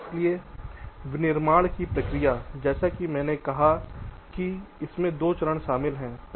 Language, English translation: Hindi, so manufacturing process, as i said, comprises of two steps